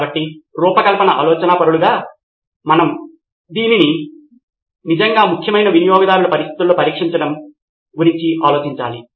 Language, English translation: Telugu, So we as design thinkers need to think about testing it in real customer conditions where it really matters